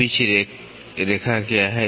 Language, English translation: Hindi, What is a pitch line